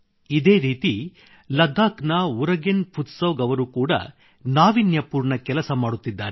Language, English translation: Kannada, Similarly, Urugen Futsog of Ladakh too is working very innovatively